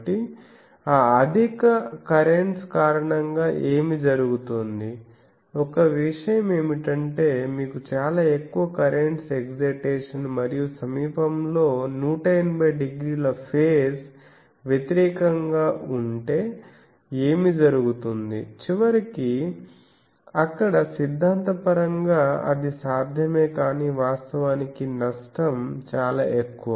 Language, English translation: Telugu, So, what happens due to that high, one thing is it is very difficult that if you have a very high current excitation and nearby to have a 180 degree face opposite and what happens, ultimately, there though theoretically it is possible but actually the loss is so high